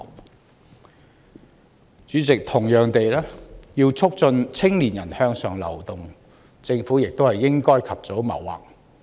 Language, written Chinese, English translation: Cantonese, 代理主席，同樣地，要促進青年人向上流動，政府也應及早謀劃。, Deputy President likewise the Government should plan early to promote the upward mobility of young people